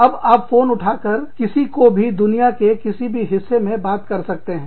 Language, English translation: Hindi, You can, now pick up the phone, and call up anybody, in any part of the world